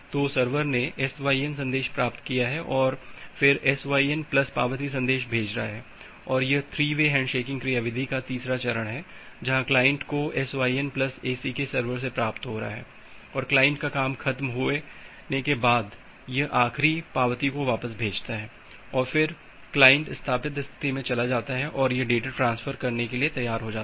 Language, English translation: Hindi, So, the server has received the SYN message and then sending a SYN plus acknowledgement message and this is the third step of the 3 way handshaking where the client is receiving the SYN plus ACK from server and sending back with the final acknowledgement and once the client has done that, client is moving to the established state and it is ready for data transfer